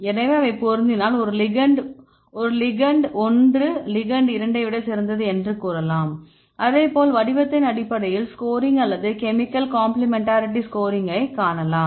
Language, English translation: Tamil, So, if they match then you can say this ligand one is better than the ligand two right So, likewise you can see the scoring based on the shape or the chemical complementarity scores right you can do that